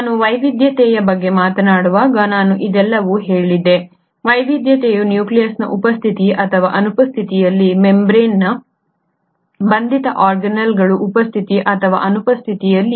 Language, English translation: Kannada, I said all this while I spoke about the diversity, the diversity was in terms of the presence or absence of nucleus, the presence or absence of membrane bound organelles